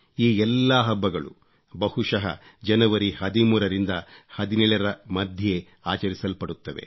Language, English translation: Kannada, All of these festivals are usually celebrated between 13th and 17thJanuary